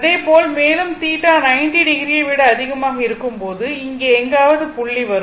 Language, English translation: Tamil, So, further when theta is more than 90 degree so, somewhere here